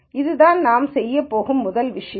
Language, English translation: Tamil, So, that is the first thing that we are going to do